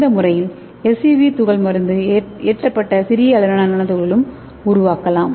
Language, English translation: Tamil, And it will give the very good small size SUV particles with drug loaded nano particle